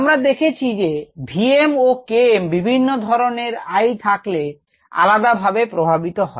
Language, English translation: Bengali, you have seen that v m and k m change differently with i for different types of inhibitions